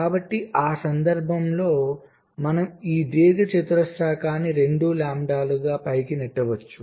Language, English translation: Telugu, so in that case we can possibly push this rectangle up like two lambda